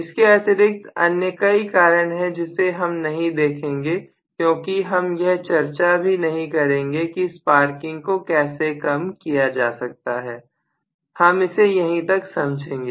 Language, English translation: Hindi, There are actually more reasons I am not going into any of that because we are not even going to talk about how to reduce sparking and so on and so forth, I am leaving it at this basically